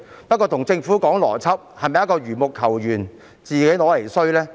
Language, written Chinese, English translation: Cantonese, 不過跟政府談邏輯，是否等同緣木求魚，自取其辱呢？, However any discussion on logic with the Government is just tantamount to climbing a tree to catch a fish and bringing shame on oneself isnt it?